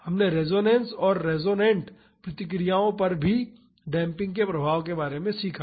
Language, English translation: Hindi, We learned about resonance and the influence of damping on resonant responses